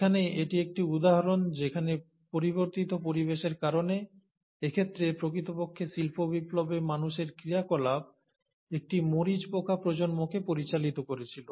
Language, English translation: Bengali, So here is an example where changing environmental conditions due to, in this case, human activity in industrial revolution, actually led to the generation of a peppered moth